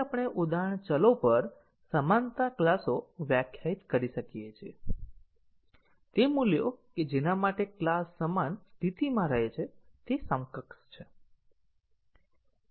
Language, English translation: Gujarati, So, we can define equivalence classes on the instance variables that is, those values for which the class remains in the same state they are equivalent